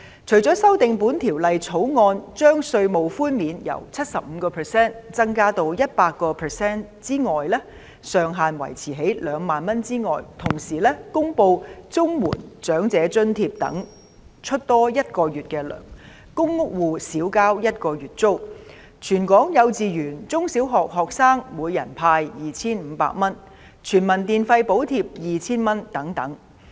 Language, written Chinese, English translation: Cantonese, 除了修訂《條例草案》，將稅務寬免由 75% 增至 100%， 上限維持在2萬元外，同時公布綜合社會保障援助及長者津貼等額外發放一個月的金額、公屋住戶免交一個月租金、全港幼稚園、中、小學學生每人派 2,500 元，以及全民電費補貼 2,000 元等。, Apart from amending the Bill to increase the tax reductions from 75 % to 100 % while retaining the ceiling of 20,000 the Government also announced the provision of an extra months payment of the Comprehensive Social Security Assistance Old Age Allowance and so on; a one - month rent waiver for tenants of public rental units a subsidy to kindergarten primary and secondary students in Hong Kong at 2,500 per head an electricity charge subsidy of 2,000 to all citizens and so on